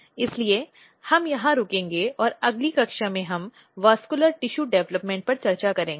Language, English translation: Hindi, So, we will stop here and in next class we will discuss vascular tissue development